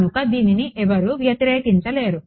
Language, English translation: Telugu, So, no one can object to this right